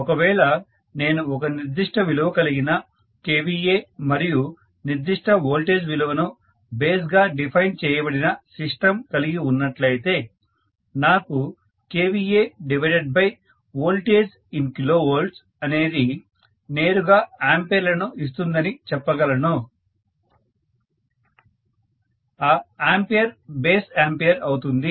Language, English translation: Telugu, So I have basically four base values for the system, so if I have a system with a particular value of kVA defined as its base and particular value of voltage define as its base, I can say kVA divided by whatever is the voltage in kilovolts will give me ampere directly